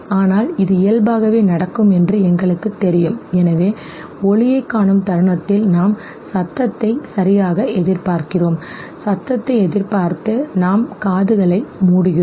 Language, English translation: Tamil, But because we know that this is by default going to happen, so therefore the moment we see the light we anticipate the sound okay, and anticipating the sound what we do, we close our ears